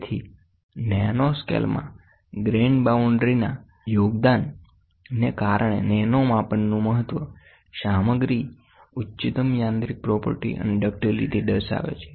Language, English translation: Gujarati, So, importance of nanodimensions due to the contribution of grain boundary at nanoscale, material exhibits superior mechanical property and ductility